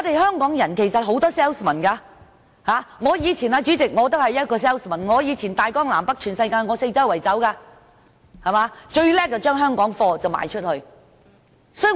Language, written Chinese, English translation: Cantonese, 香港其實有很多銷售員，主席，我以前也是一名銷售員，走遍大江南北全世界，最擅長把香港貨品賣出去。, There are actually many salespersons in Hong Kong President . I used to be a good salesperson travelling all over China and the world selling Hong Kong products